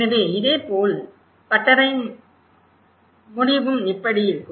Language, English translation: Tamil, So similarly, the end of the workshop will be like this